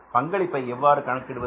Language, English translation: Tamil, So how we calculate the contribution